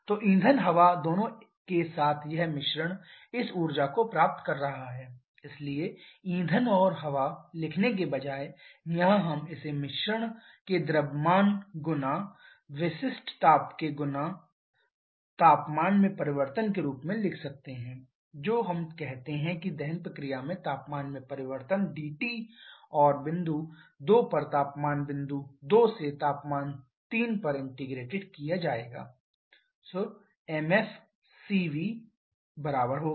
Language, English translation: Hindi, So, fuel air together this mixture that is the one that is receiving this energy so instead of writing fuel air here we can also write this as mass of the mixture into the specific heat into the change in temperature which is, let us say the change in temperature dT in the combustion process and this will be integrated over temperature point temperature to 2 temperature at 0